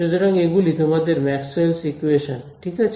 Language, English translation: Bengali, So, those are your Maxwell’s equations right